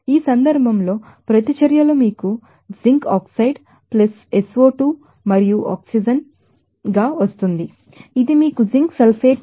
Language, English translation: Telugu, In this case, the reactions are, you know zinc oxide + SO2 and + oxygen that will give you that zinc sulfate